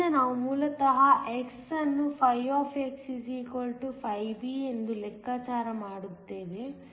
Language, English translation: Kannada, So, we basically calculate x when φ = φb